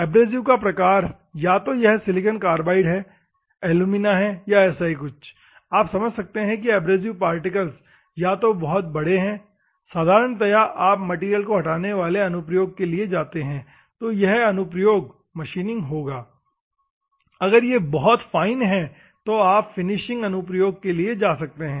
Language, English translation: Hindi, Abrasive type whether it is silicon carbide, alumina or something you can understand; abrasive particle whether it is a big one normally you can go for material removal application that is a machining application, if it is very fine you can go for the finishing applications